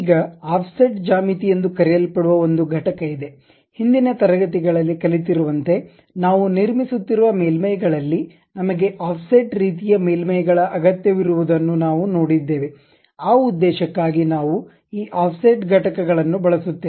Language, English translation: Kannada, Now, there is something named Offset geometries; in the earlier classes we have seen when surfaces we are constructing we may require offset kind of surfaces also, for that purpose we use this Offset Entities